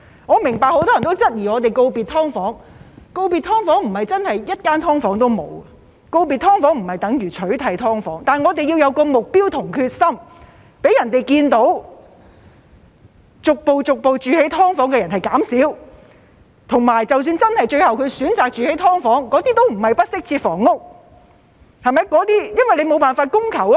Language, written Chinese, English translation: Cantonese, 我明白很多人也質疑，告別"劏房"不是真的一間"劏房"也沒有，告別"劏房"不等於取締"劏房"，但我們要有目標和決心，讓大家看到居住在"劏房"的人數逐步減少，以及即使他們最後真的選擇居住"劏房"，也不是不適切房屋，因為無法滿足需求。, I understand that many people have doubts about it . Bidding farewell to SDUs does not mean there will not be a single SDU left and it is not the same as eradicating SDUs but we must set a target and be determined so that people will see a gradual drop in number of residents living in SDUs . Even if the people really choose to live in SDUs in the end SDUs will not be inadequate housing and it is just because the housing demand cannot be met